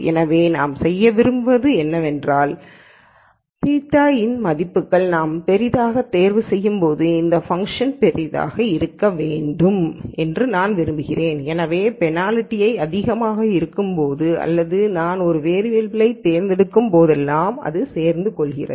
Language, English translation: Tamil, So, what we want to do is, when I choose the values of theta to be very large, I want this function to be large So, that the penalty is more or whenever I choose a variable right away a penalty kicks in